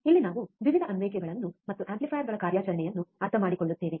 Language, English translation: Kannada, here we will be understanding the various applications and operational of amplifiers